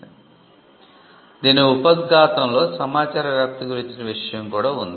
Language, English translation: Telugu, The preamble of the statute of Anne also had something on dissemination of information